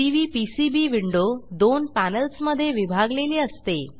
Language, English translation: Marathi, The Cvpcb window is divided into two panels